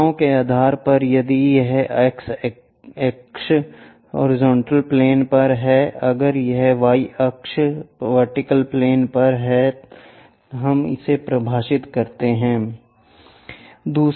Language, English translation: Hindi, Based on the directions if it is on x axis horizontal plane, if it is on y axis vertical plane we will define